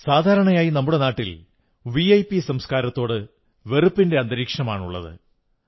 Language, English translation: Malayalam, Generally speaking, in our country there exists an atmosphere of disdain towards the VIP culture